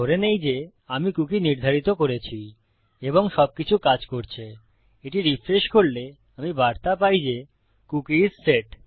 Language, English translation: Bengali, Assuming that I have set my cookie and everything is working, when I refresh this Ill get the message that the Cookie is set